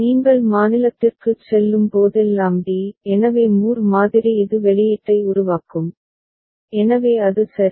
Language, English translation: Tamil, And whenever you go to state d; so Moore model it will generate output, so that is the idea ok